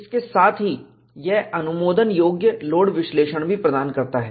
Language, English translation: Hindi, In addition to this, it also provides allowable load analysis